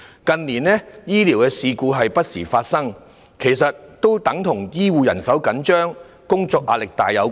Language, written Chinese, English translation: Cantonese, 近年，醫療事故不時發生，實際是與醫護人手緊絀及工作壓力沉重有關。, The frequent medical blunders in recent years had something to do with the manpower constraint of healthcare personnel and the heavy work pressure on them